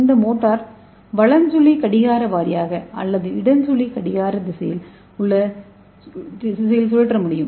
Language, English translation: Tamil, And this motor can rotate clock wise as well as counter clockwise